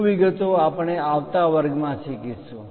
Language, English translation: Gujarati, More details we will learn it in the next class